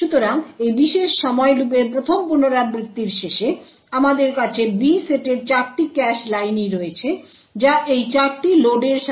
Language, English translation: Bengali, So, at the end of the first iteration of this particular while loop we have all the 4 cache lines in the B set filled with this data corresponding to these four loads